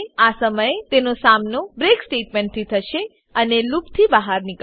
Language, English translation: Gujarati, At this point, it will encounter the break statement and break out of the loop